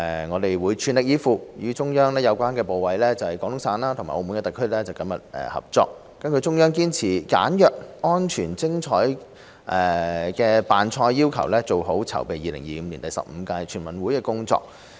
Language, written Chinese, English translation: Cantonese, 我們會全力以赴，與中央有關部委、廣東省及澳門特區政府緊密合作，根據中央堅持"簡約、安全、精彩"的辦賽要求，做好籌備2025年第十五屆全運會的工作。, We will spare no effort to work closely with the relevant ministries of the Central Government the Guangdong Province and the Macao SAR Government to carry out the preparatory work for the 15th NG in 2025 according to the Central Authorities requirement of simple safe and wonderful in conducting the event